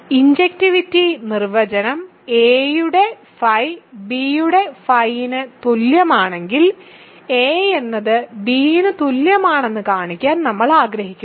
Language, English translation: Malayalam, So, the definition of injectivity is if phi of a is equal to phi of b, we want to show a is equal to b